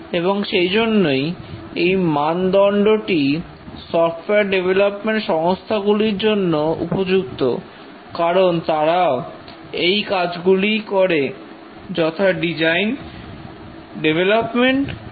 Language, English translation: Bengali, And therefore this is the right standard for software development organizations because they do these requirements, design, develop, test and service